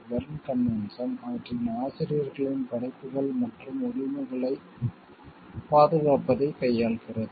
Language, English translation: Tamil, The Berne convention deals with the protection of the works and rights of their authors